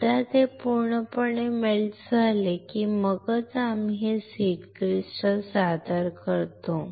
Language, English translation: Marathi, Once it is completely melted then only we introduce this seed crystal